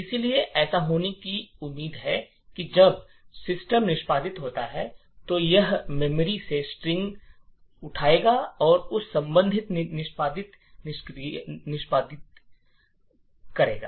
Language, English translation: Hindi, So, what is expected to happen is that when system executes, it would pick the string from the memory and execute that corresponding executable